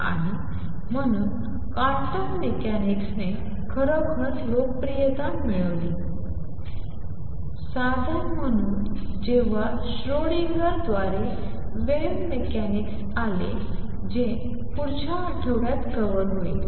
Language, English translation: Marathi, And therefore quantum mechanics really gained popularity as a calculation tool after wave mechanics by Schrödinger came along which will be covering in the next week